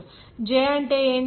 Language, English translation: Telugu, What is j